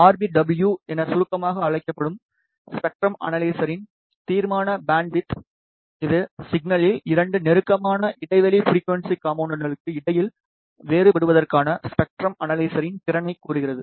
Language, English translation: Tamil, Resolution bandwidth of a spectrum analyzer which is abbreviated as RBW, it tells the ability of the spectrum analyzer to differentiate between 2 closely spaced frequency components in the signal